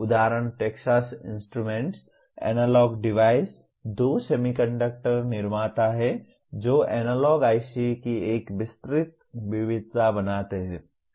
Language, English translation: Hindi, Example Texas Instruments, Analog Devices are two semiconductor manufacturers making a wide variety of analog ICs